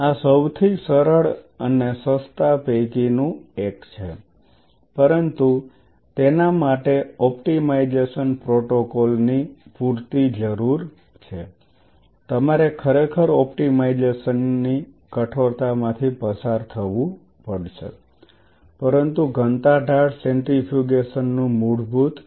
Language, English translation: Gujarati, This is one of the simplest cheapest and easiest, but that needs a whole lot of optimization protocol you really have to go through the rigor of optimization, but the basic fundamental of density gradient centrifugation is this